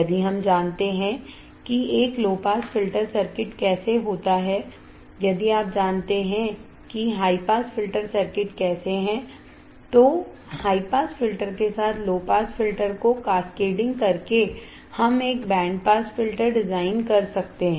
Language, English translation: Hindi, If we know how a low pass filter circuit is, if you know how high pass filter circuit is then by cascading low pass filter with a high pass filter, we can design a band pass filter